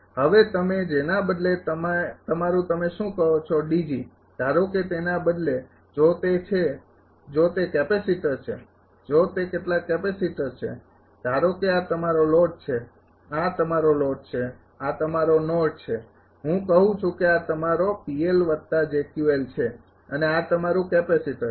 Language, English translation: Gujarati, Now, instead of instead of your what you call D G suppose instead of if it is a if it is a capacitor, if it is some capacitor say suppose this is your load this is your load this is load i say this is your P L plus j Q L and this is your capacitor this is your capacitor